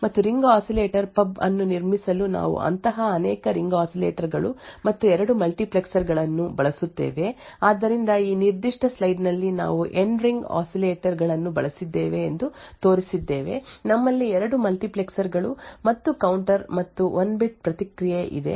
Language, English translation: Kannada, And in order to build a ring oscillator pub, we would use many such Ring Oscillators and 2 multiplexers, So, in this particular slide we have shown that we have used N Ring Oscillators, we have 2 multiplexers and a counter and 1 bit response